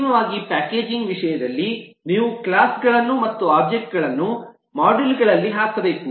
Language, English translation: Kannada, finally, in terms of packaging, you have to put the classes and objects in modules